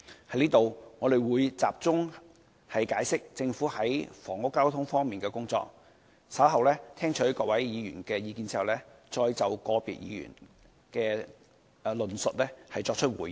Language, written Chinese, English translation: Cantonese, 這裏，我會集中解釋政府在房屋及交通方面的工作，稍後在聽取各位議員的意見後，會再就個別議員的論述作出回應。, Here I will focus on explaining the work done by the Government on housing and transport . Responses to the remarks made by individual Members will follow after listening to Members comments